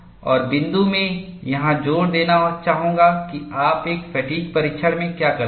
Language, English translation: Hindi, And the point I would like to emphasize here is, what do you do in a fatigue test